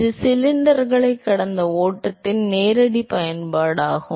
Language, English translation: Tamil, That is the direct application of flow past cylinders